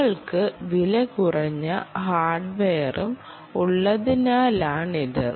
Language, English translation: Malayalam, because they are low cost and cheap hardware